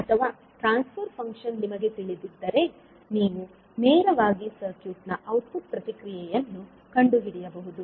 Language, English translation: Kannada, Or if you know the transfer function, you can straight away find the output response of the circuit